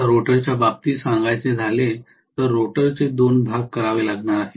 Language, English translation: Marathi, Now as far as rotor is concerned, the rotor has to be divided into 2 portions